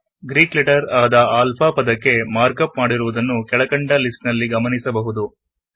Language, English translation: Kannada, Notice the mark up for the Greek letter as alpha which is displayed below the list